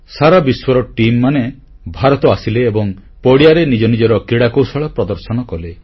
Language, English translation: Odia, Teams from all over the world came to India and all of them exhibited their skills on the football field